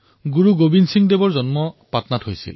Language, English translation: Assamese, Guru Gobind Singh Ji was born in Patna